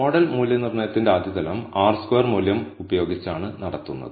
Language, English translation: Malayalam, So, the first level of model assessment is done using the R squared value